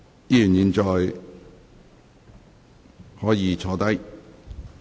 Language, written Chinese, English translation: Cantonese, 議員現在可以坐下。, Members will now please be seated